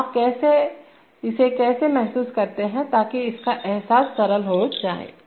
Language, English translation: Hindi, So how do you realize this one, so that’s simple to realize